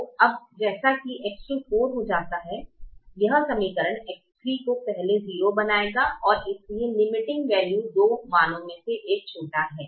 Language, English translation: Hindi, so now, as x two becomes four, this equation will make x three come to zero first and therefore the limiting value is a smaller of the two values